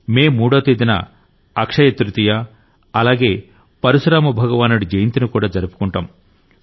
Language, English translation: Telugu, Akshaya Tritiya and the birth anniversary of Bhagwan Parashuram will also be celebrated on 3rd May